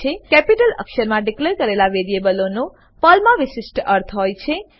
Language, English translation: Gujarati, Variables declared with CAPITAL letters have special meaning in Perl